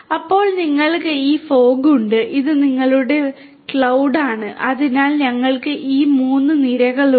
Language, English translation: Malayalam, Then you have this fog layer this fog layer and this is your cloud right so, we have these 3 tiers